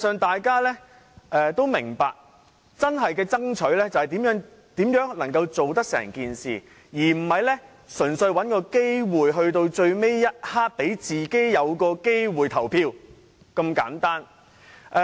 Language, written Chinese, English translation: Cantonese, 大家都明白，真正要爭取的是如何將方案落實，而不是純粹找機會讓自己在最後一刻有機會投票這樣簡單。, We must understand that we should strive for the implementation of the proposal rather than simply looking for a chance to vote at the last possible moment